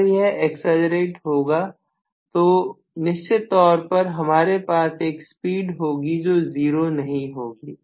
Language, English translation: Hindi, So, as it accelerates I am definitely having the speed which is non zero